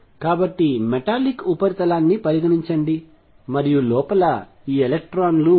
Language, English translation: Telugu, So, consider a metallic surface, and there these electrons inside